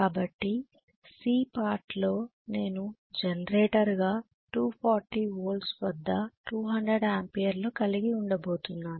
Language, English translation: Telugu, So in part C I am going to have 200 amperes at 240 volts as a generator